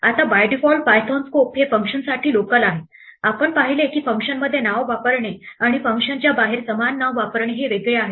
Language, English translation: Marathi, Now by default in python scope is local to a function, we saw that if we use a name inside a function and that it is different from using the same name outside the function